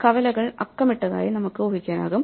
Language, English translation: Malayalam, We can imagine that the intersections are numbered